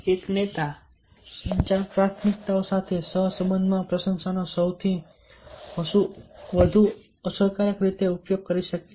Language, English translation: Gujarati, a leader can utilize appreciation most effectively n correlation with communication priorities